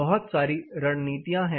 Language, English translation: Hindi, So, what are the strategies